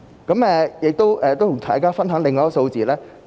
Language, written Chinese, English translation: Cantonese, 我也想與大家分享一些數字。, I would like to share some figures with Members too